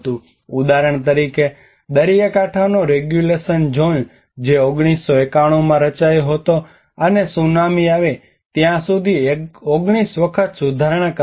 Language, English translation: Gujarati, For example, the coastal regulation zone which was formed in 1991 and revised 19 times until the tsunami have struck